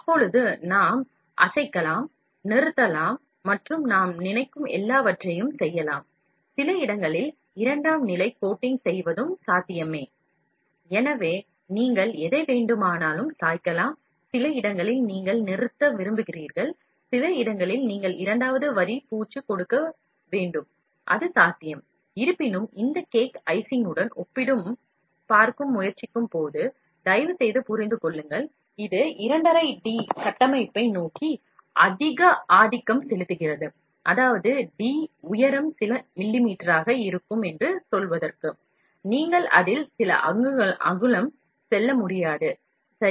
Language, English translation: Tamil, So, you can even tilt it to whatever you require, and at some places you want to stop, some places you want give second line coating, it is possible, but; however, please understand when you try to compare it with this cake icing, it is more dominator towards 2 and a half D structure; that means, to say the D height will be few millimeter, you cannot go few inches in that, ok